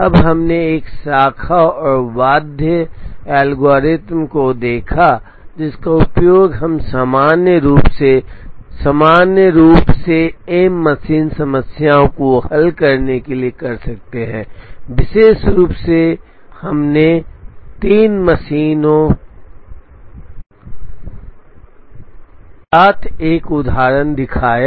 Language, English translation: Hindi, Now, we also looked at a branch and bound algorithm, which we could use to solve the general m machine problem optimally in particular we showed an example with three machines